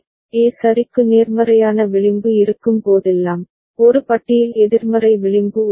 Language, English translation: Tamil, Whenever there is a positive edge for A ok, there is a negative edge for A bar